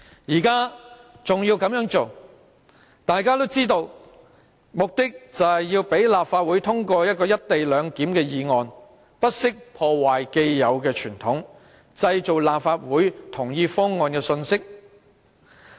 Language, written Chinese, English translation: Cantonese, 現在這樣做，大家都知道其目的就是要讓立法會通過"一地兩檢"的議案，不惜破壞既有的傳統，製造立法會同意方案的信息。, We all know that the Government intends to make the Legislative Council pass the motion on the co - location arrangement . It has violated the established convention to create a picture that the Legislative Council endorsed the co - location proposal